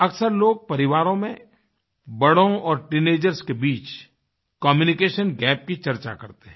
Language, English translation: Hindi, People generally talk of a communication gap between the elders and teenagers in the family